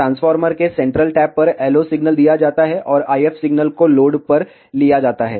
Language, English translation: Hindi, LO signal is given at the centre type of the transformer, and the IF signal is taken across a load